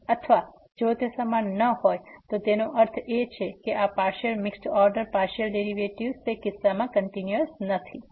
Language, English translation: Gujarati, Or if they are not equal that means these partial mixed partial order derivatives are not continuous in that case